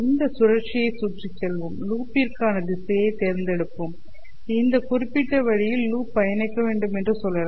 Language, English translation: Tamil, And while going around this loop, let's pick a direction for the loop, let us say the loop is to be traversed in this particular way